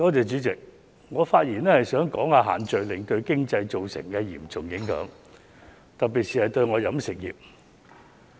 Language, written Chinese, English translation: Cantonese, 主席，我發言想談談限聚令對經濟造成的嚴重影響，特別是對飲食業界。, President in my speech I would like to talk about the serious impact of the social gathering restrictions on the economy particularly on the catering industry